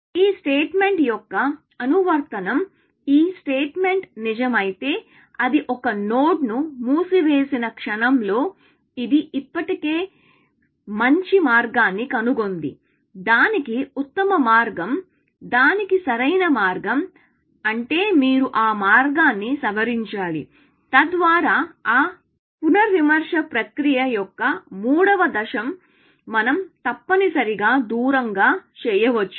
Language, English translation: Telugu, So, the application of this statement, if this statement were to be true, it means that it, the moment it puts a node into closed, it has already found a better path, best path to it; optimal path to it, which means you have to revise that path, so that, the third stage of that revision process, we can do away with, essentially